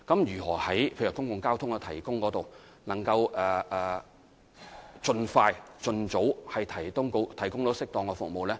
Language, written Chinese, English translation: Cantonese, 如何在公共交通方面盡快、盡早提供適當的服務呢？, How can we provide suitable public transport services expeditiously and as early as possible?